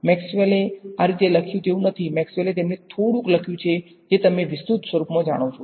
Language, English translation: Gujarati, This is not how Maxwell wrote, Maxwell wrote them in some slightly you know elaborate form